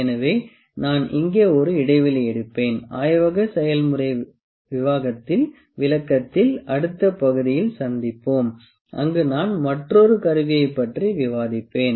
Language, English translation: Tamil, So, I will take a break here and we will meet in the next part of laboratory demonstration where I will discuss another instrument